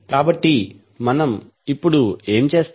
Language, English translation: Telugu, So what we will do now